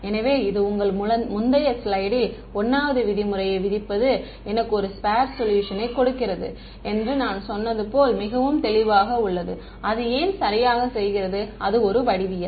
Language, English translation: Tamil, So, your this is very clear like when I in the previous slide when I said that imposing 1 norm gives me a sparse solution you know why it does right and that is geometry